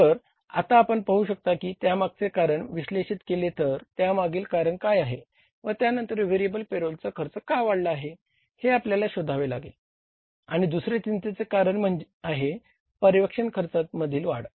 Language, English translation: Marathi, So, now you can see that if you analyze the reasons for that then we will have to find out why the variable payrolls cost has gone up and that second cause of concern here is the increase in the supervision cost